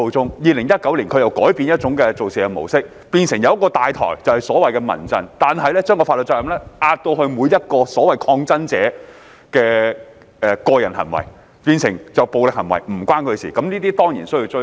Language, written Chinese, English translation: Cantonese, 到了2019年，他們又改用另一模式，由一個"大台"即民陣牽頭，但卻將法律責任描繪為每一抗爭者的個人行為，故此所有暴力行為均與民陣無關，對此我們當然必須追究。, These people switched to another mode then in 2019 by making CHRF the organizer that initiated a number of activities but referring the related legal liabilities as personal acts of each individual protestor thus making CHRF have nothing to do with all violent acts . We must of course hold the organization accountable in this respect